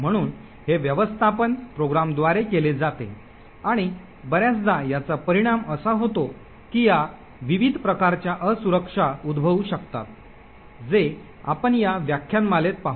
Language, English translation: Marathi, So this management is done by the program and quite often this could actually result in several different types of vulnerabilities as we will see during this lecture